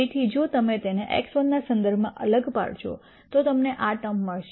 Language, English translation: Gujarati, So, if you differentiate it with respect to x 1 you will get this term